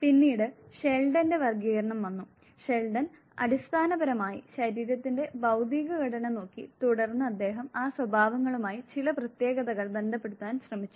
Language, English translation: Malayalam, Then came Sheldon classification and Sheldon basically looked at the physical make of the body and then he tried associating certain characteristics with those makes